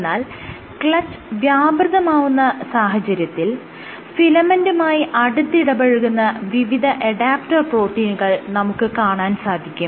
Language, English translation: Malayalam, In the other case when you have clutch is engaged, you have various adapter proteins which linked with the filament